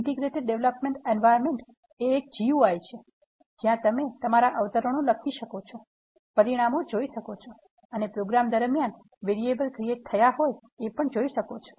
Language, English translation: Gujarati, Integrated development environment, is a GUI, where you can write your quotes, see the results and also see the variables that are generated during the course of programming